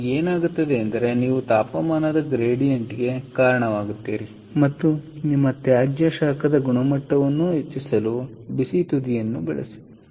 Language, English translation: Kannada, so therefore, what happens is you give rise to a temperature gradient and use the hot end for upgrading the quality of your waste heat